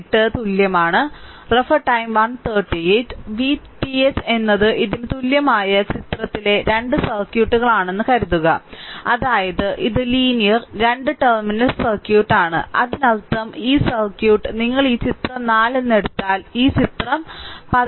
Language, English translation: Malayalam, Now go to this; that means, figure in figure this figure 4 point your 18 are equivalent V TH is suppose 2 circuits in figure equivalent to this; that is, this is your linear 2 terminal circuit that is your; that means this circuit, if you take this one that figure 4 this is figure 14